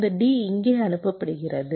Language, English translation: Tamil, this d is being fed here